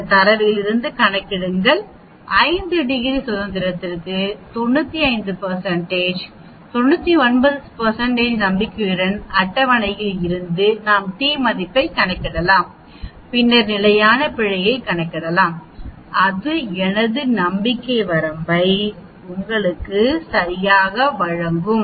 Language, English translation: Tamil, We can calculate x bar from this data then a for 5 degrees of freedom with 95 %, 99 % confidence from the table we can calculate t and then we can calculate the standard error that is s by square root of n that will give you my confidence limit right